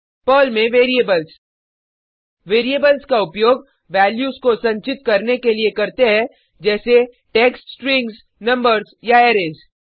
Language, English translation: Hindi, Variables in Perl: Variables are used for storing values, like text strings, numbers or arrays